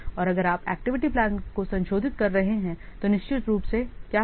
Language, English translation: Hindi, And if you are revising the activity plan, then of course what will happen